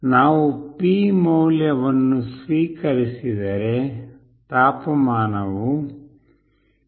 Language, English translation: Kannada, If we receive the value P, then the temperature will be 20 / 0